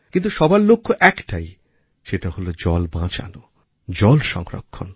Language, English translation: Bengali, But the goal remains the same, and that is to save water and adopt water conservation